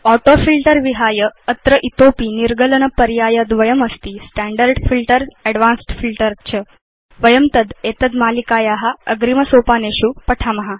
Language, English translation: Sanskrit, Apart from AutoFilter, there are two more filter options namely Standard Filter and Advanced Filter which we will learn about in the later stages of this series